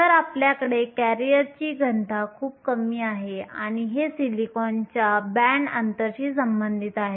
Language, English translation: Marathi, So, you have a very low career density and this is related to the band gap of silicon